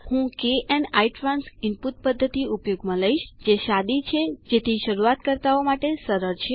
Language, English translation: Gujarati, I will use KN ITRANS input method which is simple and therefore easier for beginners